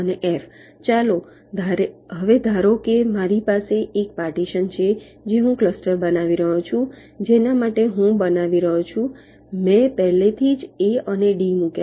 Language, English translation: Gujarati, now lets suppose i have a partition which i am creating, a cluster which i am creating, for i have already placed a and b